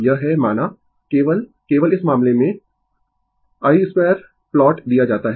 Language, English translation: Hindi, This is suppose, only only in the only in this case i square plot is given right